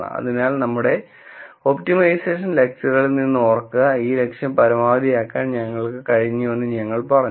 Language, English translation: Malayalam, So, remember from our optimization lectures, we said we got a maximise this objective